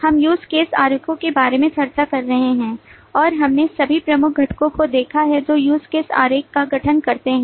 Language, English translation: Hindi, We have been discussing about use case diagrams And we have seen all the major components that constitute the use case diagram